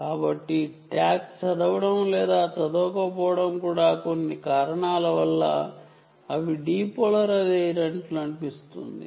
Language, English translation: Telugu, so tag being read or not read could also mean that they seem to be depolarized for some reason